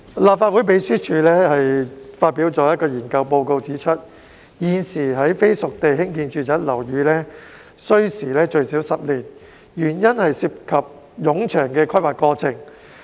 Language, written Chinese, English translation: Cantonese, 立法會秘書處發表的研究報告指出，現時在非熟地興建住宅樓宇需時最少10年，原因是涉及冗長的規劃過程。, As pointed out in a research report published by the Legislative Council Secretariat the development of non - spade - ready sites for residential buildings currently takes at least 10 years as lengthy planning processes are involved